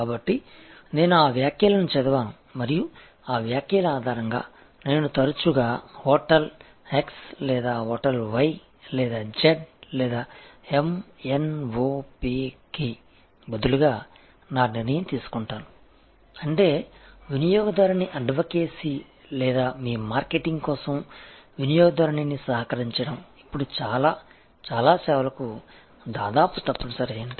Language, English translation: Telugu, So, I read those comments and based on those comments, I often make my decision for hotel x instead of hotel y or z or m, n, o, p, which means that, customer advocacy or co opting the customer for your marketing has now become almost mandatory for many, many services